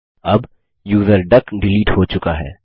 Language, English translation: Hindi, Now the user duck has been deleted